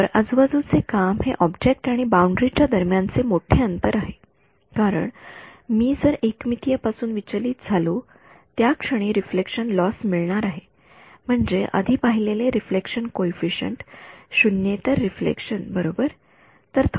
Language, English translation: Marathi, So, the work around is larger distance between the object and boundary right as it is if I the moment I deviate from 1D anyway I am going to have a reflect loss I mean the reflection coefficient non zero reflection that we have seen before right